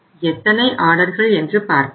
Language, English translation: Tamil, Let us now see how many orders